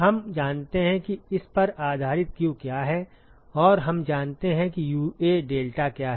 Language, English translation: Hindi, We know what is q based on this and we know what is the UA deltaT lmtd